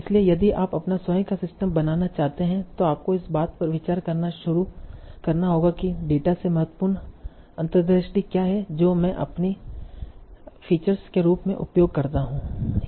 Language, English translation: Hindi, And this is one, so if you want to build your own systems, you might have to start thinking in terms of what are the important insights from data that I see you use as in the form of my features